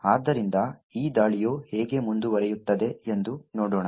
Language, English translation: Kannada, So, let us see how this attack proceeds